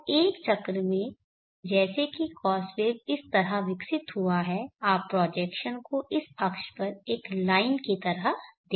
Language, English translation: Hindi, So in a cycle as the cos waves as a evolved like this you will see the projection as a line on this axis like this